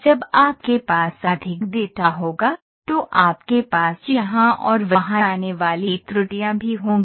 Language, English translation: Hindi, When you have more data, you will also have more errors coming here and there